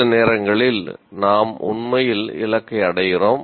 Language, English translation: Tamil, Sometimes we actually meet the target